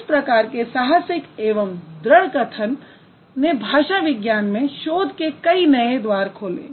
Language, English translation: Hindi, So, this kind of bold statements or this kind of strong statements opened up many newer venues for linguistics research